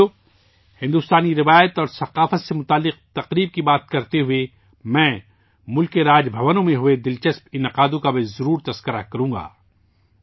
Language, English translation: Urdu, Friends, while discussing the festivals related to Indian tradition and culture, I must also mention the interesting events held in the Raj Bhavans of the country